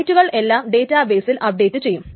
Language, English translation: Malayalam, That is the rights are updated in the database